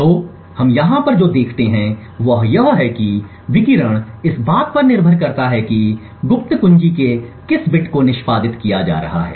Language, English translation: Hindi, So what we see over here is that the radiation differs depending on what bit of the secret key is being executed